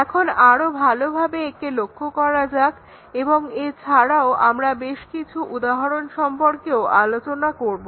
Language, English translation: Bengali, Now, let us look at this more carefully and also we will look at several examples